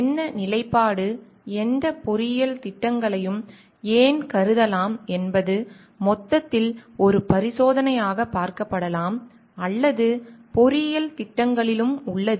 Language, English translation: Tamil, What stand the why it can be considered any engineering projects can be viewed as an experiment in totality is like or in engineering projects also